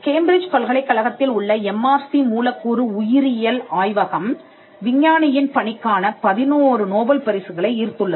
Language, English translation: Tamil, The MRC Laboratory of Molecular Biology, which is in the University of Cambridge, the work of the scientist has attracted 11 Nobel prizes